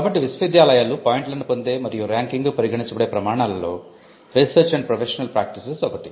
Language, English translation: Telugu, So, Research and Professional Practices is one of the criteria for which universities get points and which is considered into ranking